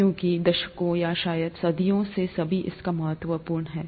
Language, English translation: Hindi, Because it has significance over decades or probably even centuries